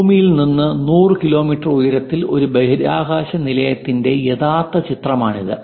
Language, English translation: Malayalam, This is the actual image of a space station which is above 100 kilometres from the earth at an altitude